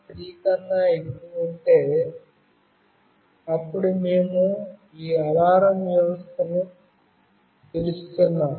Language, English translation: Telugu, 30, then we are calling this alarm system